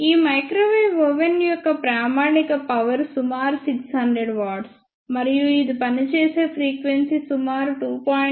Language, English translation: Telugu, And the standard power of this microwave oven is about 600 watt and the frequency over which it work is a about 2